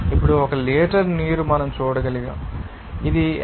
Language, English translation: Telugu, Now, 1 liter of water we can see that, that 55